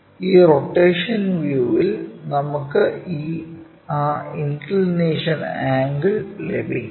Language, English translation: Malayalam, If we have it in this rotation view, we will have that inclination angle